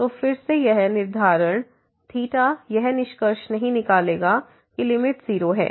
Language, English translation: Hindi, So, again this fixing theta will not conclude that the limit is 0